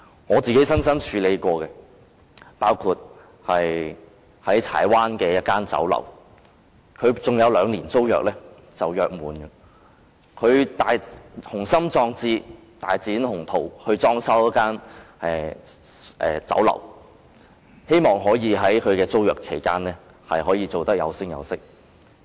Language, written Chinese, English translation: Cantonese, 我親自處理過的個案包括柴灣一間酒樓，酒樓尚有兩年租約才約滿，老闆雄心壯志，一心大展鴻圖，於是裝修酒樓，希望在租約期間把生意做得有聲有色。, I have personally handled such cases including one about a restaurant in Chai Wan . The tenancy agreement of the restaurant still had two more years to go before expiry . The owner was full of ambitions determined to fly high in the business